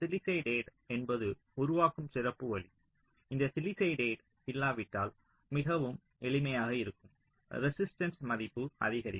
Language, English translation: Tamil, sillicided is a special way of creating, but if there is no sillicide, which is much simpler, then the resistance value increases, ok